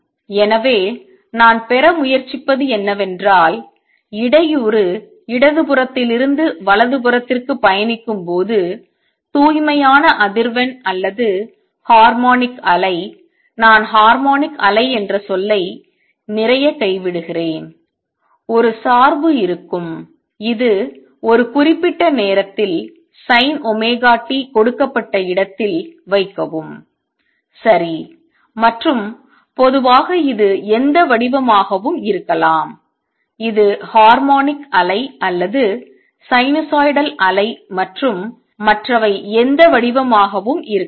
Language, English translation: Tamil, So, what I am try to get at is that the disturbance could be traveling to the left to the right a pure frequency or harmonic wave, I am just dropping lot of term harmonic wave would have a dependence which is sin omega t at a given place right and where as in general it could be any shape this is harmonic wave or sinusoidal wave and others could be any shape